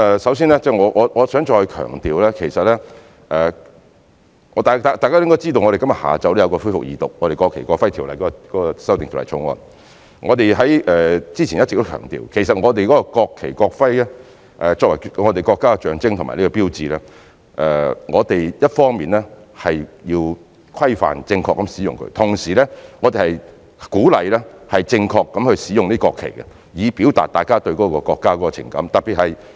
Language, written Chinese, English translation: Cantonese, 首先，我想再強調，大家應該知道，今天下午我們的《條例草案》會恢復二讀，我們之前一直強調，其實國旗及國徽作為國家象徵和標誌，我們一方面要對它們的正確使用作出規範，同時亦鼓勵市民正確地使用國旗，以讓大家表達對國家的情感。, First of all I would like to emphasize again that as Members know the Second Reading of the Bill will resume this afternoon . We have been stressing that the national flag and national emblem are the symbols and signs of the country . We need to regulate their proper use on the one hand and encourage the public to use the national flag properly on the other so that we can express our feelings for our country